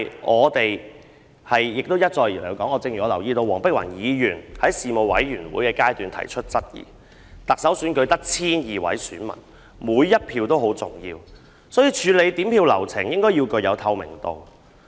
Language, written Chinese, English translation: Cantonese, 我們一再提出——正如我留意到黃碧雲議員在事務委員會提出質疑，特首選舉只有 1,200 名選民，每一票也十分重要，所以處理點票流程應該具透明度。, As we have repeatedly pointed out and as Dr Helena WONG has questioned in the Panel I noticed there are only 1 200 voters in the Chief Executive election so each vote counts and hence the counting process should be transparent